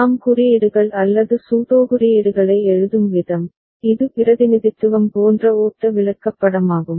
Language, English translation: Tamil, The way we write codes or pseudocodes so, it is a flow chart like representation